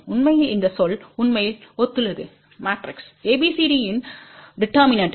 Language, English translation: Tamil, Actually this term really corresponds to the determinant of matrix ABCD